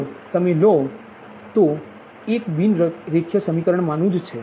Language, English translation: Gujarati, you take a set of non linear equation